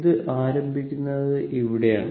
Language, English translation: Malayalam, So, this is the origin here it is starting